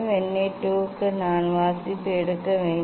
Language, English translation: Tamil, for Vernier 2 I have to take reading